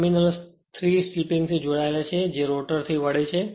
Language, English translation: Gujarati, The terminals are connected to 3 sleeping which turn with the rotor